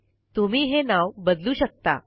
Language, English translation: Marathi, You may rename it if you want to